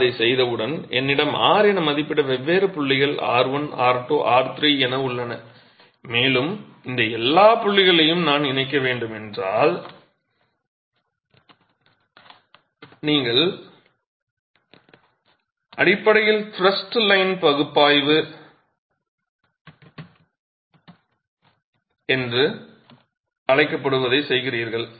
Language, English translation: Tamil, Once I do that I have different points estimated R1, R2, R3 and so on and if I were to connect all these points you are basically doing what is called a thrust line analysis